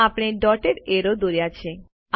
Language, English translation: Gujarati, We have drawn a dotted arrow